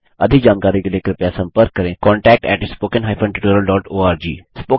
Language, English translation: Hindi, For more details, write to contact at spoken hypen tutorial dot org